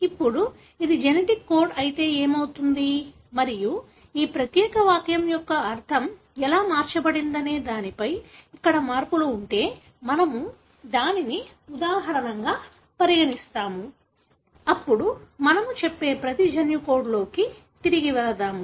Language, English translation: Telugu, Now, what would happen if this was the genetic code and if there are changes here as to how the meaning of this particular sentence is altered, we will consider that as an example, then, we will get back into the genetic code per say